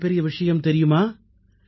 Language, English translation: Tamil, And do you know the most significant fact